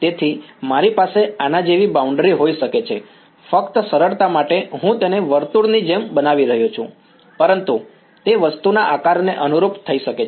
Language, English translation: Gujarati, So, I may have like a boundary like this just for simplicity I am showing it like a circle, but it can take conform to the shape of the thing right